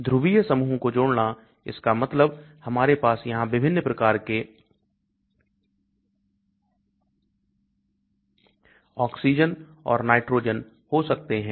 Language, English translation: Hindi, Add polar groups that means we can have different types of oxygen and nitrogen there